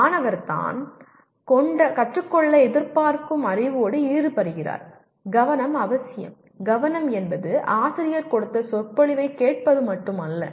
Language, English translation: Tamil, Student is engaging with the knowledge he is expected to learn and engagement is the one that is necessary for, engagement is not mere listening to the lecture given by the teacher